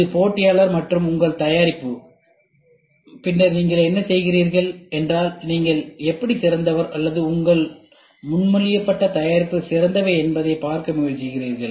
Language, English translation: Tamil, This is competitor and this is your product and then what you do is you try to see how are you better or your proposed product better then the competitor